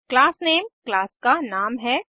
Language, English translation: Hindi, Class name is the name of the class